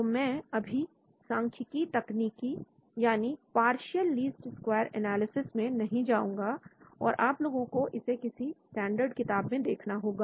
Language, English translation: Hindi, So I will not go into the statistical technique called partial least square analysis so you people have to look into some standard book